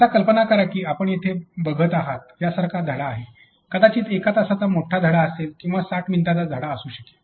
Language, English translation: Marathi, Now, imagine you have a lesson like what you see here, a long lesson maybe a 1 hour lesson or it a may be an a 60 minute lesson